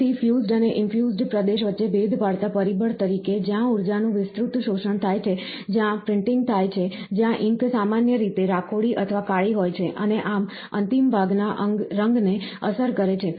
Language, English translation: Gujarati, Again, as distinguishing factor between the fused and infused region, is the enhanced absorption of the energy where printing occurs, where the ink are typically grey or black, and thus, affecting the colour of the final part